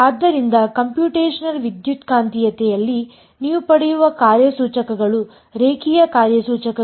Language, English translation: Kannada, So, the operators that you get in Computational Electromagnetics are linear operators